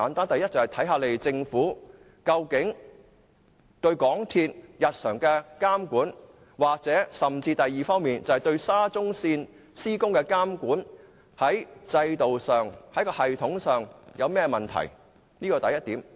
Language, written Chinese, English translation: Cantonese, 第一，政府對港鐵日常的監管出了甚麼問題，或對沙中線施工的監管在制度上、系統上出現甚麼問題？, First the select committee should identify the Governments problems in its routine monitoring of MTRCL or in monitoring the works of SCL